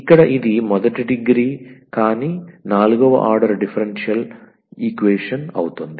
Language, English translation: Telugu, So, this is the first degree, but the 4th order differential equation